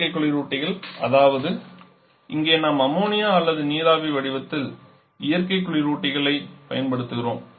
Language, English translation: Tamil, Synthetic refrigerants, where is here we are using natural refrigerant in the form of ammonia, or water vapour